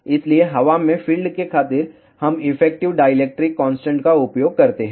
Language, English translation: Hindi, So, to account for the field in the air we use effective dielectric constant